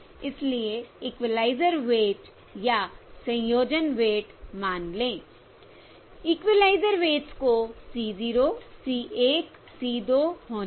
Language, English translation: Hindi, So let the equaliser weights, or the combining weights, let the equaliser weights be c 0, c 1, c 2